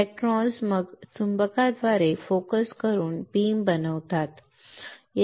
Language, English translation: Marathi, The electrons are then focused by magnets to form a beam, right